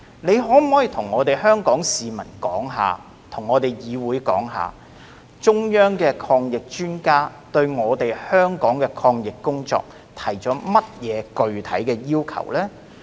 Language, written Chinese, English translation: Cantonese, 你可否向香港市民和議會說明，中央的抗疫專家對香港的抗疫工作提出了甚麼具體要求？, Can you explain to the community of Hong Kong and the Council what specific requirements the Central Authorities anti - epidemic experts have set out on the anti - epidemic work of Hong Kong?